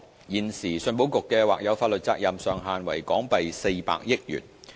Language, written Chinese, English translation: Cantonese, 現時，信保局的或有法律責任上限為港幣400億元。, Currently the level of ECICs maximum contingent liability is 40 billion